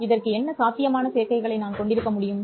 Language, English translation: Tamil, What possible combinations can I have for this